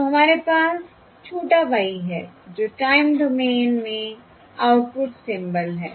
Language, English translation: Hindi, okay, So we have the small y, which are the symbols, output symbols in the time domain